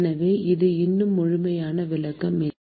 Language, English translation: Tamil, So, it is not a complete description yet